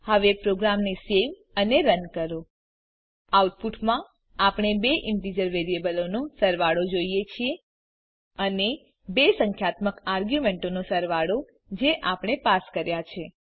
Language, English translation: Gujarati, Now Save and Run the program In the output we see the sum of two integers variables, And the sum of two numeric arguments that we passed